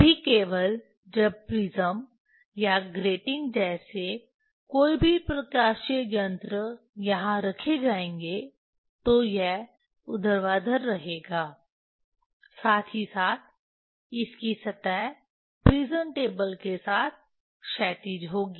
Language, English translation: Hindi, Then only when any optical device like prism or gating will put here, that will remain vertical as well as its surface will be horizontal with the with the prism table